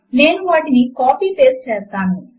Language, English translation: Telugu, I will copy and paste them